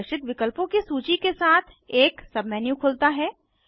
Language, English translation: Hindi, A submenu opens, displaying a list of options